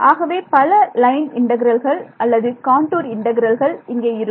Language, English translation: Tamil, So, those many line integrals or contour integrals are going to be there ok